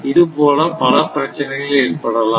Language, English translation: Tamil, So, so many issues are there